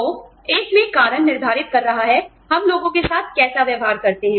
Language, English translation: Hindi, So, at to in one, the cause is determining, how we treat people